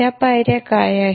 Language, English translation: Marathi, What are those steps